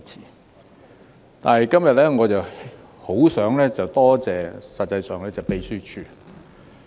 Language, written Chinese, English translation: Cantonese, 實際上，今天我很想多謝立法會秘書處。, In fact I would very much like to thank the Legislative Council Secretariat today